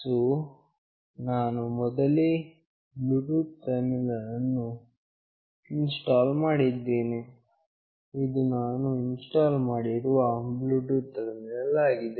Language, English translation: Kannada, So, I have already installed a Bluetooth terminal, this is the Bluetooth terminal that I have already installed